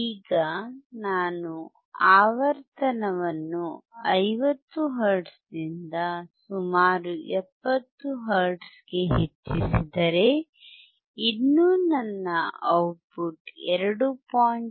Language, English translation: Kannada, Now if I increase the frequency from 50 hertz to about 70 hertz, still my output is 2